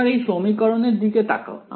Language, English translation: Bengali, Now, if I look at this equation